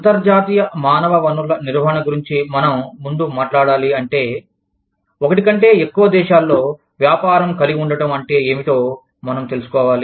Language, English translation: Telugu, Before, we talk about, international human resource management, we need to know, what it means to have a business, in more than one country